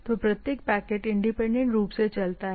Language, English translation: Hindi, So, each packet moves independently